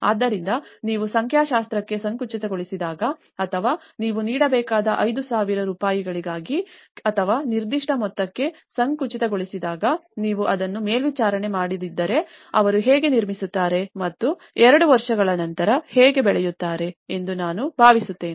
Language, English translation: Kannada, So, that is how, when you narrow down to numericals or you narrow down only to the 5000 rupees or a particular amount to be given, I think if you donít monitor it, how they are going to build up and after two years this is the case